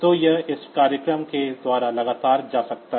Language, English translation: Hindi, So, it can go on continually by this program